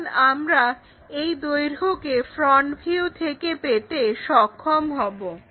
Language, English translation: Bengali, Because this length we will be in a position to get it from the front view